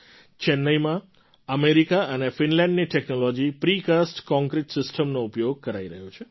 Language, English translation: Gujarati, In Chennai, the Precast Concrete system technologies form America and Finland are being used